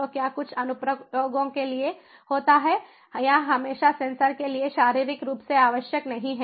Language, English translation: Hindi, so what happens is for certain applications, it is not required to always prime the sensors physically at the physical level